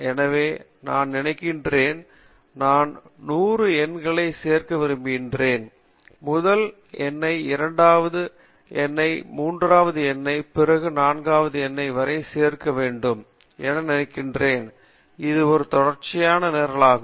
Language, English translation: Tamil, So suppose, I want to add 100 numbers, suppose I say add the first number to the second number then to the third number then to the fourth number, this is a sequential program